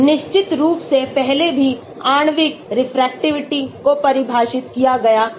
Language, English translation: Hindi, Molecular Refractivity of course is defined before also